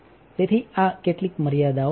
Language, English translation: Gujarati, So, these are some of the limitations